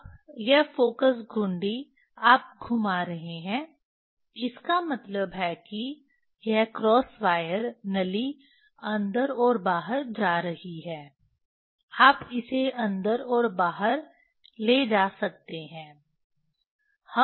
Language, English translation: Hindi, Now, this focus knob, you are you are rotating means this cross wire tube is going in and out you can take in and out